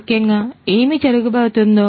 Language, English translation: Telugu, Essentially, what is going to happen